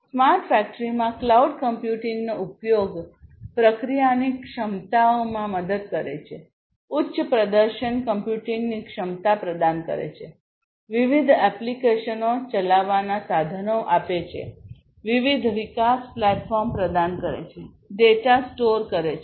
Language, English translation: Gujarati, So, use of cloud computing in smart factory helps in the processing capabilities, providing the capability of high performance computing, giving tools for running different applications, giving tools for different development platforms, giving tools for storing the data easily